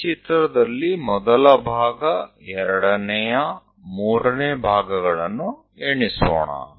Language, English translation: Kannada, Let us count like first part, second, third parts on this figure